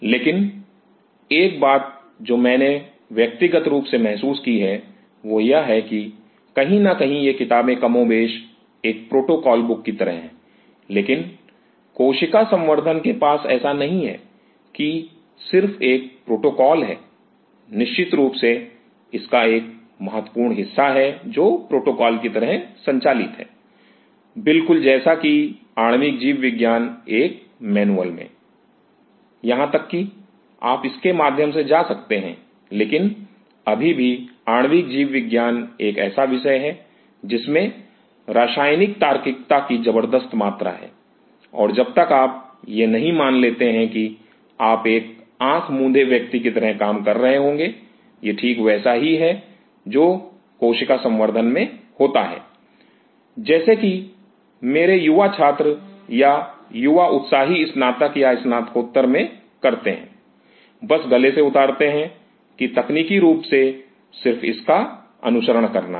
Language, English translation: Hindi, But one thing which I personally have felt is that somewhere these books are more or less like a protocol book, but cell culture has such as not just a mere protocol is definitely, there is a significant part of it which is protocol driven just like an molecular biology in a manual, even you can go through it, but a still molecular biology has a subject has tremendous amount of chemical logics and unless you understand that you will be working like a blind person; that is precisely what happens in cell culture that my young student or young enthusiast take under graduate or a post graduate; just embraces that this is technically just let follow it